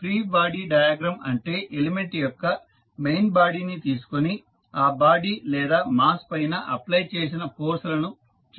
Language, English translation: Telugu, Free body diagram means you just take the main body of the element and show the forces applied on that particular body or mass